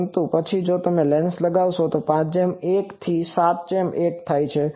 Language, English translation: Gujarati, But, then if you put the lens then that becomes 5 is to 1 become 7 is to 1